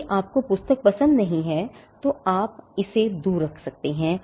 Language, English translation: Hindi, If you do not like the book, you can keep it away